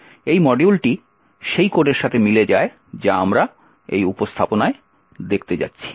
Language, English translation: Bengali, So this particular module corresponds to the code that we have seen in the presentation